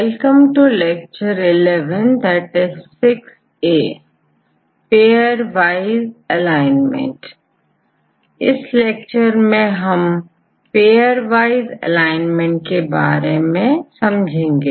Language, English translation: Hindi, In this lecture, we will discuss on pairwise alignment